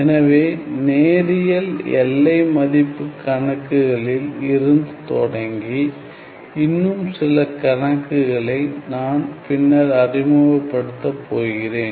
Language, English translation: Tamil, So, starting from linear boundary value problems, and I am going to introduce all these problems later on